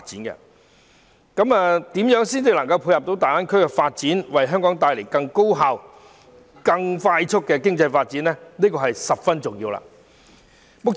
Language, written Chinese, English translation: Cantonese, 如何能配合大灣區發展，為香港帶來更高效、更快速的經濟發展，是十分重要的問題。, It is of paramount importance for Hong Kong to dovetail with the development of GBA to foster more efficient and rapid economic development